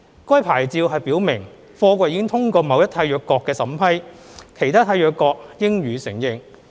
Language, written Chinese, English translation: Cantonese, 該牌照表明貨櫃已通過某一締約國的審批，其他締約國應予承認。, The SAP indicates that the container has obtained the approval of a Contracting Party thus other Contracting Parties should acknowledge the approval